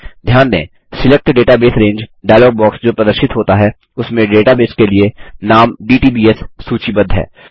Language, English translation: Hindi, Notice, that in the Select Database Range dialog box that appears, the name dtbs is listed as a database